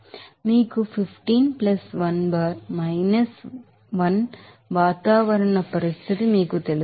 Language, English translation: Telugu, So, you have 15 + 1 bar 1 that would be you know atmospheric condition